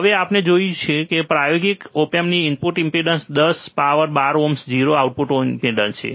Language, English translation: Gujarati, And we will see the input impedance of an practical op amp is around 10 to the power 12 ohms 0 output impedance